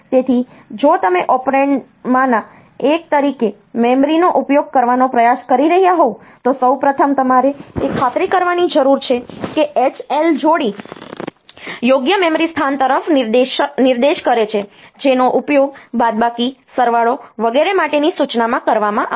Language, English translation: Gujarati, So, if you are trying to use the memory as one of the operand, then a first of all you need to ensure that the H L pair points to the correct memory location which will be used in the instruction for the addition subtraction etcetera